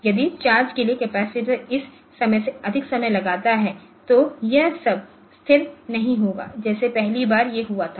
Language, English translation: Hindi, So, if that you are the capacitor for charge takes more than this time then it will not be a stable one like when the first time this has occurred